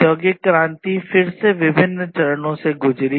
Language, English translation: Hindi, So, the industrial revolution again went through different stages